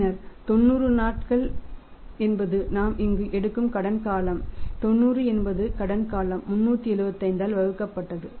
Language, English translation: Tamil, And then is the 90 is the credit period we are taking here the 90 is a credit period divided by 375 and 90 is a credit period multiplied by 375 / 365